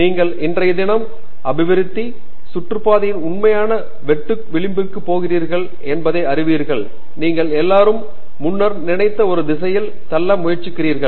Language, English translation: Tamil, You know you are going to the real cutting edge of current day development round of the subject and you trying to push the boundaries in a direction in which nobody has thought of before